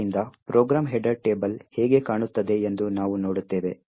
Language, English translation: Kannada, So, we will look how the program header table looks like